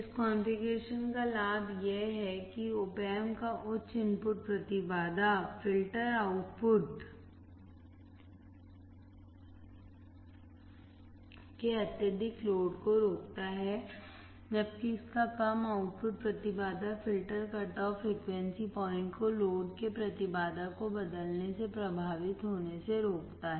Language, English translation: Hindi, The advantage of this configuration is that Op Amp's high input impedance prevents excessive loading of the filter output while its low output impedance prevents a filter cut off frequency point from being affected by changing the impedance of the load